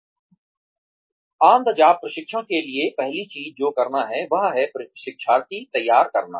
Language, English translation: Hindi, For on the job training, the first thing that one needs to do is, prepare the learner